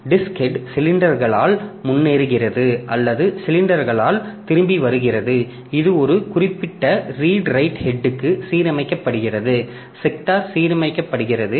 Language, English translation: Tamil, So, disc head just advances by cylinders or comes back by cylinders and then this disk this the disc moves, disk rotates and this it gets aligned to a particular red right head the sector gets aligned